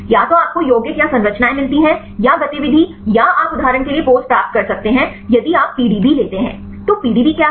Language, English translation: Hindi, Either you get the compounds or the structures or the activity or you can get the pose for example, if you take the PDB; so, what is PDB